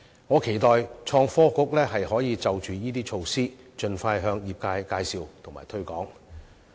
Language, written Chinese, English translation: Cantonese, 我期待創科局可以就這些措施盡快向業界介紹及推廣。, I hope that ITB can introduce and promote these measures to the industries as soon as possible